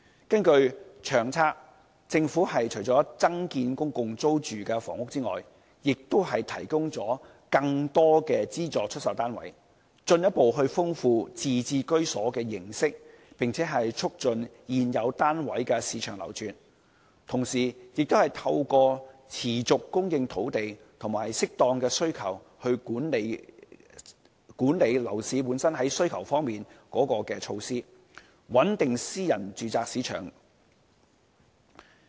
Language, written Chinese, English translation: Cantonese, 根據《長策》，政府除增建公共租住房屋外，亦提供了更多資助出售單位，進一步豐富自置居所的形式，並促進現有單位的市場流轉；同時，亦透過持續供應土地和適當管理樓市需求的措施，穩定私人住宅市場。, According to LTHS apart from increasing public rental housing production the Government will also provide more flats for sale in a bid to enhance the variety of home ownership and promote the market turnover of existing housing units . Meanwhile the Government will stabilize the private property market with steady land supply and appropriate demand - side management measures